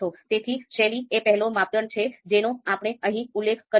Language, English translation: Gujarati, So style is the you know first criteria that we have mentioned here